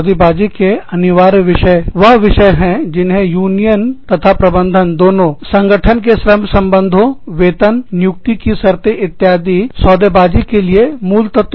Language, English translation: Hindi, Mandatory bargaining topics are topics, that both union and management, consider fundamental, to the organization's labor relations, wages, employment conditions, etcetera